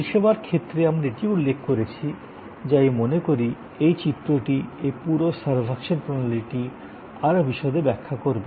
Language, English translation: Bengali, In case of service, we also pointed out that this diagram I think will explain in more detail this whole servuction system